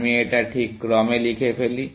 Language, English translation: Bengali, Let me rewrite this in this order